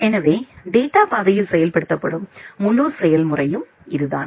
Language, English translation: Tamil, So, that is the entire process which is being executed in the data path